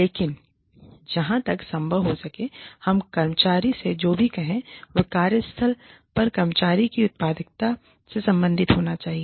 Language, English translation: Hindi, But, as far as possible, whatever we say to the employee, should be related, to the employee